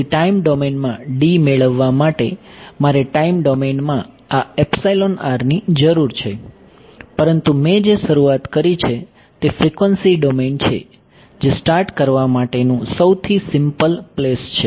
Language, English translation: Gujarati, So, to get D in the time domain I need this epsilon r in time domain, but what I have started with is starting point is frequency domain that is the simplest place to start with